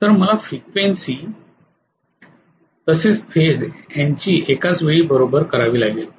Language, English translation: Marathi, So I have to match the frequency as well as phase simultaneously